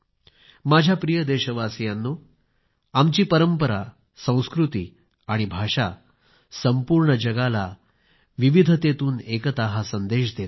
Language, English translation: Marathi, My dear countrymen, our civilization, culture and languages preach the message of unity in diversity to the entire world